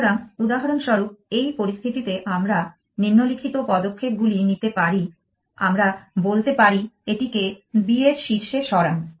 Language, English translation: Bengali, So, for example, in this situation we can do the following moves we can say move this to top of b